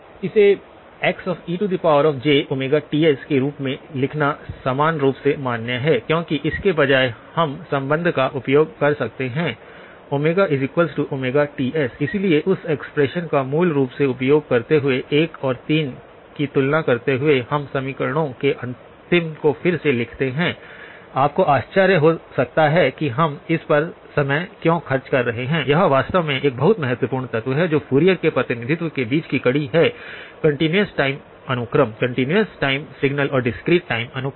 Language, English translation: Hindi, It is equally valid to write it as x e of j omega Ts, right because instead of the; we can use the relationship omega equal to omega times Ts; upper case omega times Ts, so using that expression so basically, comparing 1 and 3, we write down the last of the equations again, you may wonder why are we spending amount of time on this, it actually is a very important element this link between the Fourier representation of the continuous time sequence; continuous time signal and the discrete time sequence